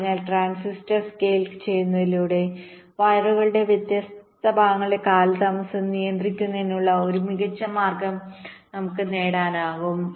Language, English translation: Malayalam, so just by scaling the transistor we can have a very nice way of controlling the delays of the different segments of the wires, right